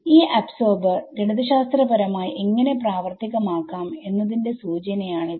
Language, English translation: Malayalam, So, so that is the hint how do I implement this absorber mathematically